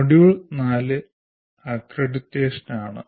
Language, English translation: Malayalam, Module 4 is strictly accreditation